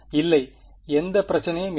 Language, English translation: Tamil, No there is no problem